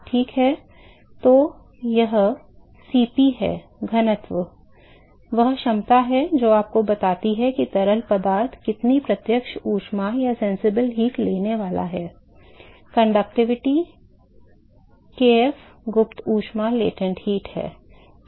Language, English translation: Hindi, Ok So, that is yeah Cp; density, the capacity which tells you what is the sensible heat that the fluid is going to take, conductivity kf yeah latent heat